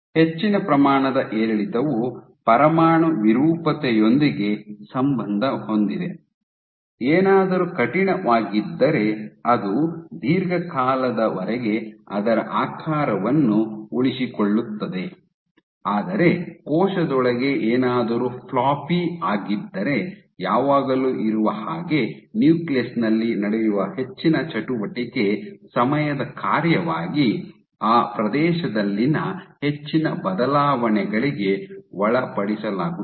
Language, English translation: Kannada, So, the higher amount of fluctuation is linked they linked it with nuclear deformability, the idea being if something is rigid then it will retain its shape for extended periods of time while if something is floppy particularly within the cell there is always, so much of activity going on the nucleus will be subjected to lot more changes in area as a function of time